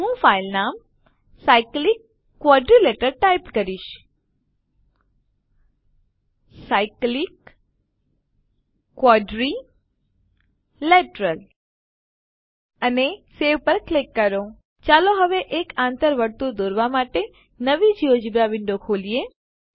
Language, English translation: Gujarati, I will type the file name as cyclic quadrilateral and click on save Let us now open a new geogebra window to construct an incircle